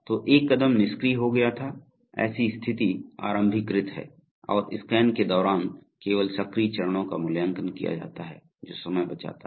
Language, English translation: Hindi, So were a step becomes inactive, its state is initialized and only active steps are evaluated during the scan that saves time